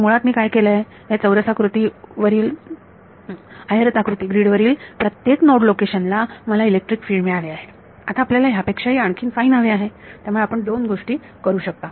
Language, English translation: Marathi, So, basically what I have done is on a square grid on rectangular grid I have got at every node location I have got the electric field; now you want even finer than that then there are two things you could do